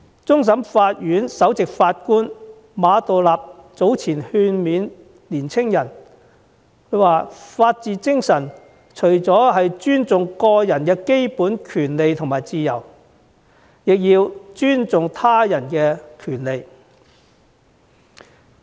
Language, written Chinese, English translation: Cantonese, 終審法院首席法官馬道立早前勸勉青年人，他說法治精神除了包含尊重個人基本權利和自由，也包括尊重他人的權利。, Earlier Chief Justice Geoffrey MA of the Court of Final Appeal gave a speech to youngsters advising them that the spirit of the rule of law lies in not only the respect of the basic individual rights and freedoms but also the respect for the rights of other people